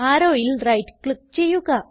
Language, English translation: Malayalam, Right click on the arrow